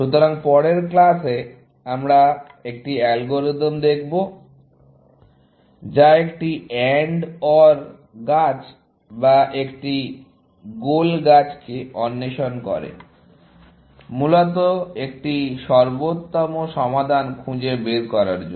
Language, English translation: Bengali, the next class we will look at an algorithm, which explores an AND OR tree or a goal tree, to find an optimal solution, essentially